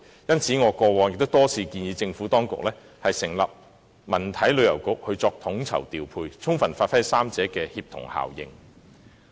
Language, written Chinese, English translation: Cantonese, 因此，我過往亦曾多次建議政府當局成立文體旅遊局作統籌調配，充分發揮三者的協同效應。, In this connection I have repeatedly proposed the establishment of a Culture Sports and Tourism Bureau by the Administration to coordinate the relevant work and make deployments in order to bring the synergy of all three aspects into full play